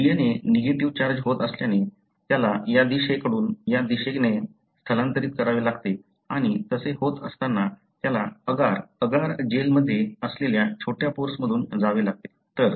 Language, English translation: Marathi, So, since the DNA is negatively charged, it has to migrate from this direction to this direction and when it does, it has to go through the small pores that are present in the agar, agar gel